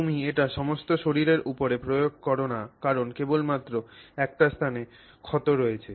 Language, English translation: Bengali, You don't apply it all over your body because you have a scratch only at one location